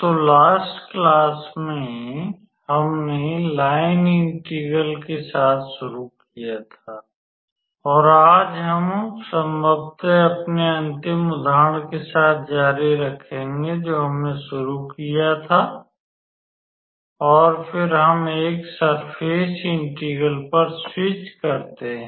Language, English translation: Hindi, So, in the last class we started with the line integral and today we will continue with probably with our last example which we started and then, we switch to a Surface Integral